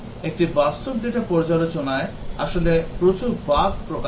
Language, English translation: Bengali, In a real data reviews, actually expose lot of bugs